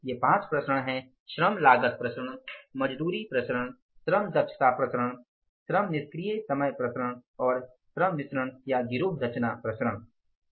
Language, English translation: Hindi, These five variances again, labor cost variance, labour rate of pay variance, labour efficiency variance and labour idle time variance and the labour mix or gang composition variance